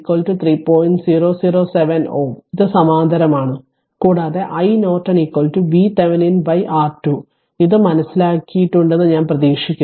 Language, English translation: Malayalam, 007 ohm this is in parallel and i Norton is equal to V Thevenin by R Thevenin I hope you have understood this